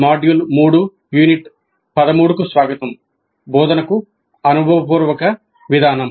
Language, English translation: Telugu, Greetings, welcome to module 3, Unit 13, Experiential Approach to Instruction